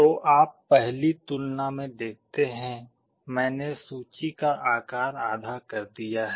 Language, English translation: Hindi, So, you see in one comparison I have reduced the size of the list to half